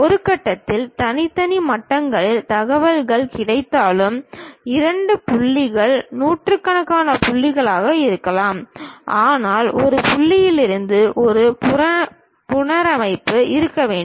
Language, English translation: Tamil, Though, information is available at discrete levels at one point, two points may be hundreds of points, but there should be a reconstruction supposed to happen from point to point